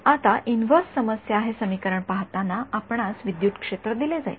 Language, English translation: Marathi, Now, inverse problem looking at this equation is you are going to be given the electric field